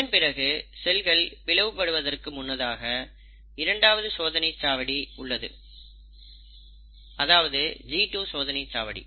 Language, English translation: Tamil, And, before the cell commits itself to the actual cell division, you have the second check point, which is the G2 check point